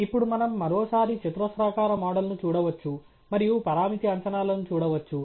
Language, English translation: Telugu, And now, we can once again look at the quadratic model, and look at the parameter estimates